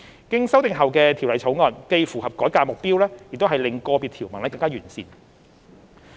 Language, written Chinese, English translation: Cantonese, 經修訂後的《條例草案》既符合改革的目標，亦令個別條文更為完善。, The Bill as amended not only can meet the objective of the reform and but also refine individual provisions